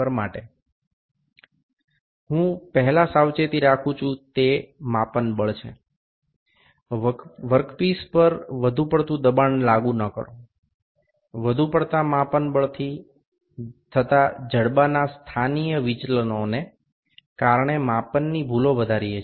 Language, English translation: Gujarati, The first precaution I would put is the measuring force, do not apply excessive force to the work piece, excessive measuring force we develop measurement errors because of the positional deviations of jaws